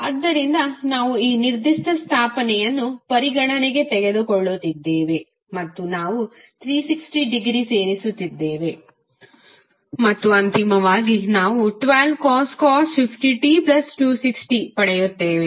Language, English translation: Kannada, So we are taking that particular establishment into the consideration and we are adding 360 degree and finally we get 12 cost 50 t plus 260